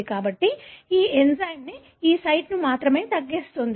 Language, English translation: Telugu, So, this enzyme cuts only this site